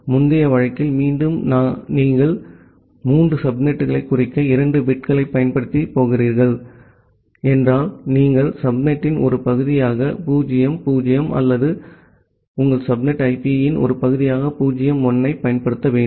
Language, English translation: Tamil, So, in the previous case, again if you are going to use 2 bits to denote three subnets, then either you have to use 0 0 as a part of the subnet or 0 1 as a part of your subnet IP